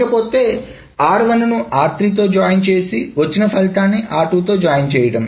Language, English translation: Telugu, So R1 is joined with R2 and then that is joined with R3